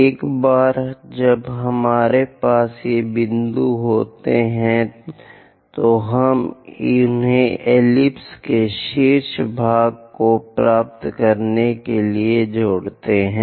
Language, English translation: Hindi, Once we have these points, we join them, so the top part of that ellipse we will get